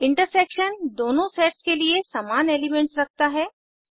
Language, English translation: Hindi, The intersection includes only the common elements from both the sets